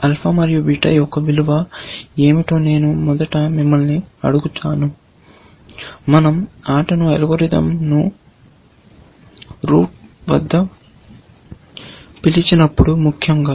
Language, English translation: Telugu, Let me first ask you what should be the value alpha and beta, when we call the game playing algorithm at the root, essentially